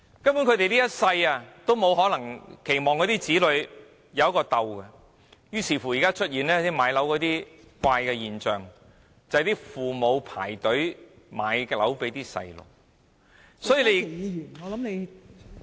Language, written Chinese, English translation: Cantonese, 他們期望子女能擁有一個安樂窩，於是現時出現了一個買樓的怪現象，就是父母排隊為子女買樓。, Parents hope that their children will become homeowners one day . It is for this reason that we now see the strange home - buying phenomenon of parents queuing up to buy homes for their children